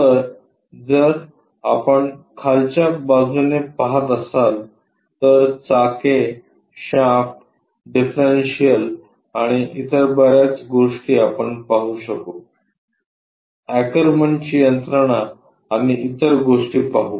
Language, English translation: Marathi, So, if you are looking from bottom side, the wheels, the shaft, differential and many other things we will see that, the Ackerman's mechanism and other things